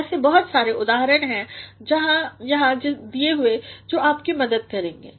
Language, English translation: Hindi, There are so many examples given here which will help you